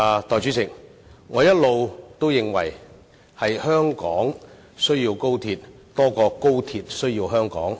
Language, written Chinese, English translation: Cantonese, 代理主席，我一直認為香港需要高鐵多於高鐵需要香港。, Deputy President I have always held that it is more the case that we need XRL rather than the other way round